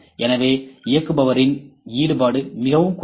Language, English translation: Tamil, So, operator influence is very less